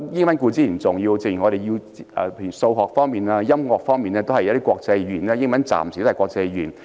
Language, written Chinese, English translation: Cantonese, 英語固然重要，正如在數學、音樂方面，目前仍然以英語作為國際語言。, English is certainly important given that it is still the international language used in Mathematics and music